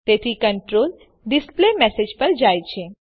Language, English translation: Gujarati, So the control goes to the displayMessage